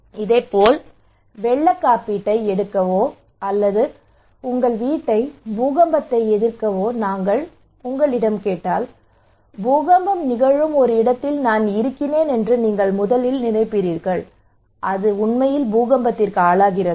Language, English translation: Tamil, So similarly if I am asking you to take a flood insurance or to build your house earthquake resistant, you will first think am I at a place where earthquake is happening, is it really prone to earthquake right